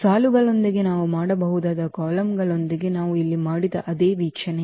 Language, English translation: Kannada, And again, the same observation which we have done here with the columns we can do with the rows as well